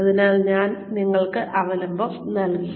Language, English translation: Malayalam, So, I have given you the reference